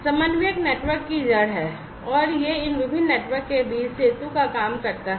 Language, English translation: Hindi, The coordinator is the root of the network and it acts as the bridge between these different networks